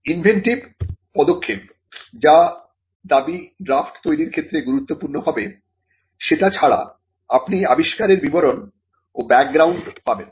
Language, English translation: Bengali, Now, apart from the inventive step which would be critical in drafting the claim, you will also get information on description and background of the invention